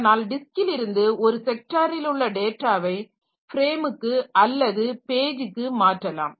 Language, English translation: Tamil, So, we can transfer one sector of data from this disk to the frame or it is also the page actually